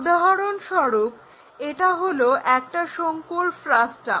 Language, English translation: Bengali, For example, this is a frustum of a cone